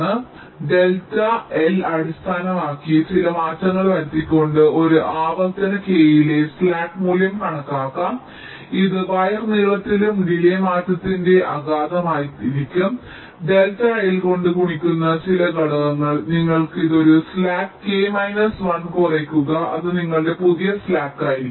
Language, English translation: Malayalam, delta l can be the change in the wire length that have been taking place between these two iterations and this will be the impact of the change in wire wire, wire length and the delay, some factor that, multiplied by delta l, you subtract this one slack k minus one